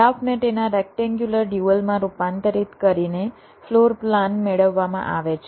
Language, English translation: Gujarati, floor plan is obtained by converting the graph into its rectangular dual